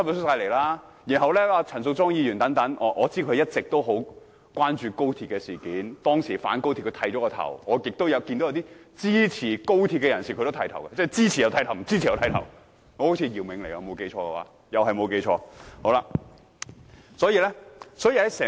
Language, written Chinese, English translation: Cantonese, 我知道陳淑莊議員一直十分關注高鐵事件，當初反高鐵時，她甚至剃頭，但也有些支持高鐵的人士剃頭，即支持和反對高鐵人士中，都有人剃頭。, She even shaved her head to show her objection to the XRL project in the past . But some people in support of the XRL project also shaved their heads . Hence there were people from both the supporting and opposition camps who had shaved their heads